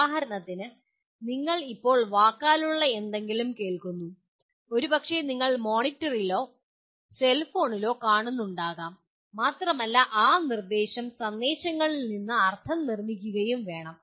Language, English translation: Malayalam, For example at present you are listening to something which is a verbal and possibly you are seeing on a monitor or a cellphone and you have to construct meaning from those instructional messages